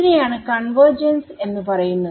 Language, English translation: Malayalam, That is what is convergence